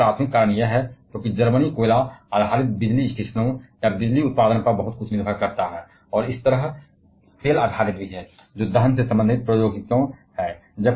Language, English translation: Hindi, And one primary reason being this, because Germany depends a lot on coal based power stations or power generation, and similarly oil based that is combustion related technologies